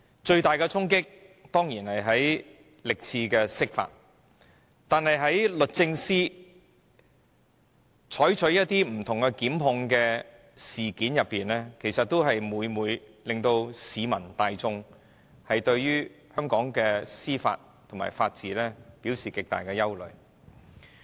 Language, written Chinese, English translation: Cantonese, 最大的衝擊當然是歷次的釋法，但律政司就不同事件所作的檢控決定，亦每每令市民大眾對香港的司法和法治產生極大憂慮。, The greatest challenge is of course the several interpretations of the Basic Law made in the past but prosecution decisions made by the Department of Justice on certain cases have also aroused wide public concern about Hong Kongs judicial system and rule of law